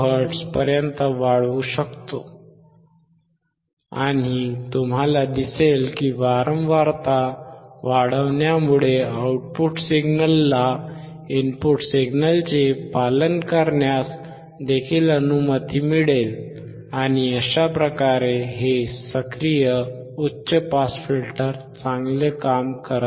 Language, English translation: Marathi, 5 kilo hertz, and you will see that keep keeping increasing the frequency will also allow the output signal to follow the input signal, and thus, this active high pass filter is working well